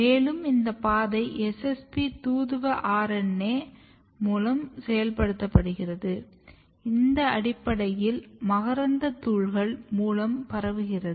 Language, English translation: Tamil, Interesting thing here is that this pathway is getting activated by SSP messenger RNA which is basically transmitted from the pollens